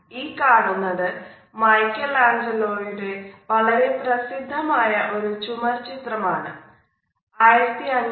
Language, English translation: Malayalam, This particular fresco painting is an iconic painting by Michelangelo